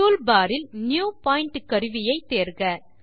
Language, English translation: Tamil, Select the New Point tool, from the toolbar